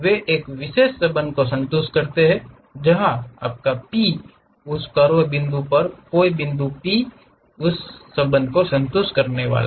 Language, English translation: Hindi, They satisfy one particular relation, where your P any point p on that curve, supposed to satisfy this relation